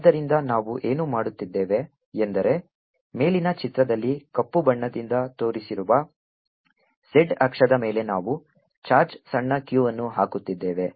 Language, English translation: Kannada, so what we are doing is we are putting a charge, small q, here on the z axis shown by black on the top figure